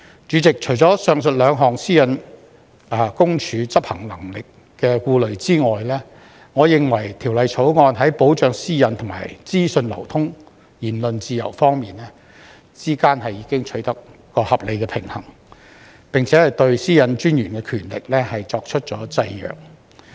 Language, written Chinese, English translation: Cantonese, 主席，除上述兩項私隱公署執行能力的顧慮之外，我認為《條例草案》在保障私隱和資訊流通、言論自由之間已取得合理的平衡，並對私隱專員權力作出了制約。, President in addition to the two aforementioned concerns about the ability of PCPD to enforce the law I believe that the Bill strikes a reasonable balance between the protection of privacy and the flow of information or freedom of speech as well as constrains the powers of the Commissioner